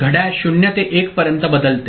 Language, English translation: Marathi, Clock changes from 0 to 1 ok